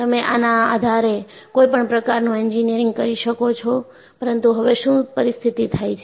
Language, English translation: Gujarati, You could do some kind of an engineering based on this, but what is the situation now